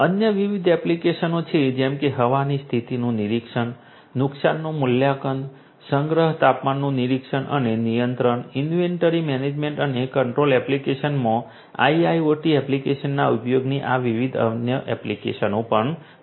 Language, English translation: Gujarati, There are other different applications such as, you know weather condition monitoring, damage assessment, storage temperature monitoring and control these are also the different other applications of use of you know IIoT applications in a in inventory management and control application